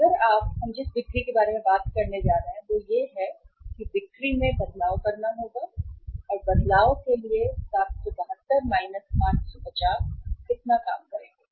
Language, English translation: Hindi, If you talk about the sales we are going to make is that the change in the sales will be will have to if we work out the change in the sales will be how much 772 minus 550